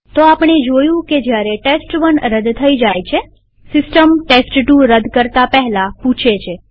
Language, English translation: Gujarati, So we saw that while test1 was silently deleted, system asked before deleting test2